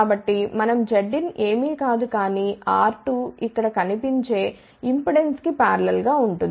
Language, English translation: Telugu, So, we can say that Z input is nothing, but R 2 in parallel with the impedance seen over here